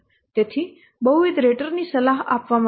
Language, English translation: Gujarati, So multiple raters are required